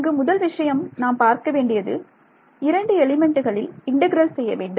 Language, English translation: Tamil, The first thing you can notice is that this integral is over 2 elements